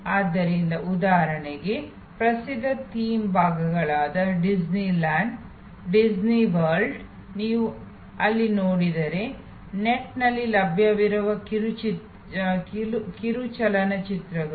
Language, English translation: Kannada, So, for example, famous theme parts like the so called Disney land, Disney world, if you see there, the short movies which are available on the net